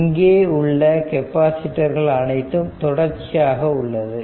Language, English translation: Tamil, So, all of these capacitors are in series